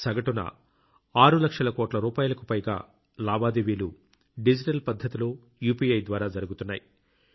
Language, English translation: Telugu, Today, on an average, digital payments of more than 2 lakh crore Rupees is happening through UPI